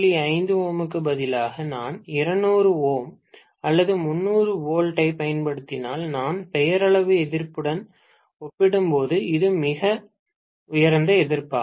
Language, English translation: Tamil, 5 ohm if I use maybe 200 ohms or 300 ohms, I would call that is a very high resistance compared to the nominal resistance